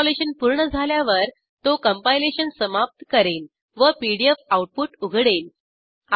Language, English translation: Marathi, Once the installation completes, it will finish the compilation and open the pdf output